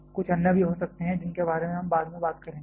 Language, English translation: Hindi, There can be quite a few others also we shall be talking about them later on